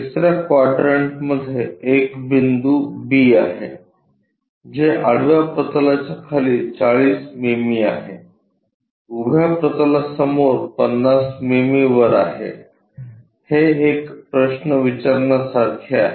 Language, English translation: Marathi, There is a point B in third quadrant, which is something like 40 mm below horizontal plane, 50 mm above in front of vertical plane is more like asking a question